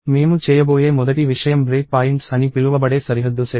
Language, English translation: Telugu, The first thing that we are going to do is set of border called break points